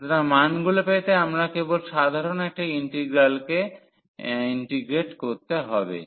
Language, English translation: Bengali, So, we need to just integrate the simple integral to get the values